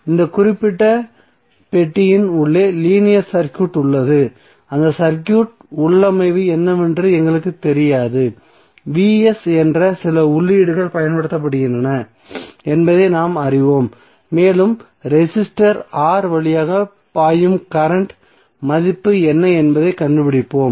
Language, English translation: Tamil, Here we have linear circuit which is inside this particular box we do not know what is the configuration of that circuit we know that some input is being applied that Vs and we are finding out what is the value of current flowing through the resistor R